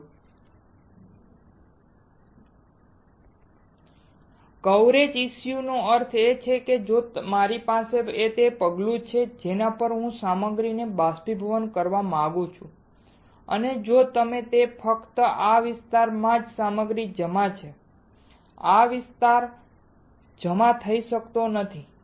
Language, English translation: Gujarati, Step Coverages issue means, if I have the step on which I want to evaporate the material and you will see only in this area the material is deposited, this area cannot get deposited